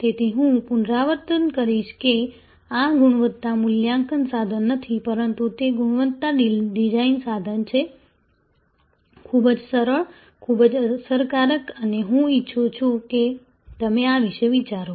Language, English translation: Gujarati, So, as I will repeat this is not a quality assessment tool, but it is a quality design tool, very simple, very effective and I would like you to think about this